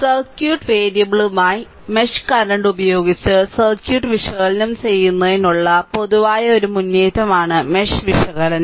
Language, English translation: Malayalam, So, mesh analysis is a general proceed your for analyzing circuit using mesh current as the ah circuit variables